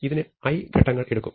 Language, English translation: Malayalam, So, this will take me i steps,